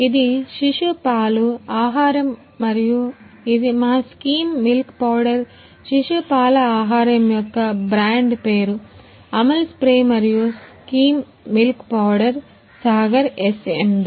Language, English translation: Telugu, This one is our infant milk food and this one is our skim milk powder the brand name of infant milk food is Amul spray and skim milk powder is of Sagar SMB